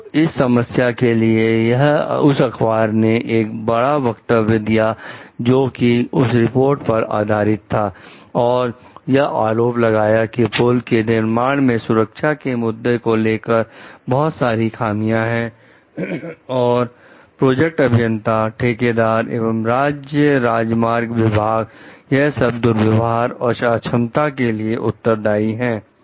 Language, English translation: Hindi, So, of those problems, but this newspaper have made big statements based on that report and like in brings allegation like the bridge has made a major safety issues, and like the project engineers, contractors, and state highway department like were all held for misconduct and incompetence